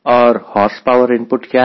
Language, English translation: Hindi, and what was horsepower input